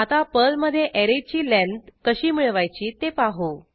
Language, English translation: Marathi, In Perl, it is not necessary to declare the length of an array